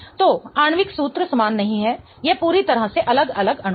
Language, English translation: Hindi, So, the molecular formula is not same, so it's different molecules altogether